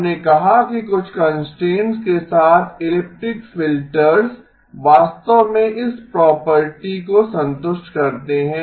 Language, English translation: Hindi, We said that elliptic filters with certain constraints actually do satisfy this property